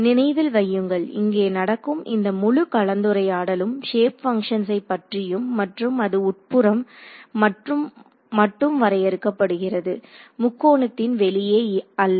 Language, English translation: Tamil, Remember everything all this entire discussion that is happening about the shape functions are limited to the interior of this or the element, this triangle not outside the triangle